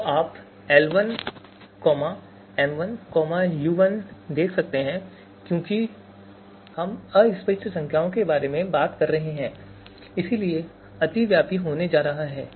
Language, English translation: Hindi, So you can see l1, m1 and u1 and because we are talking about you know fuzzy numbers so right, there is going to be overlapping